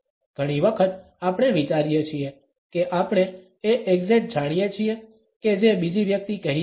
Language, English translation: Gujarati, Often times, we think we know exactly what another person is saying